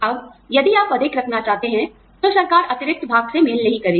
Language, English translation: Hindi, Now, if you want to put in more, the government will not match, the additional part